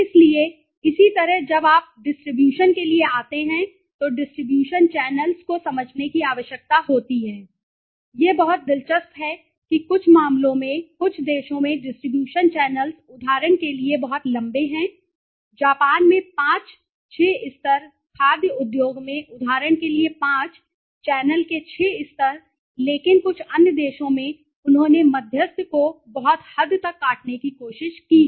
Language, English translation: Hindi, So, similarly when you come to the distribution one need to understand the distribution channels are very interesting that in some cases this distribution channels in some countries are very long for example there is 5, 6 levels in Japan for example in food industry the 5, 6 levels of you know the channel, but in some other countries they have tried to cut down the intermediary to very large extent okay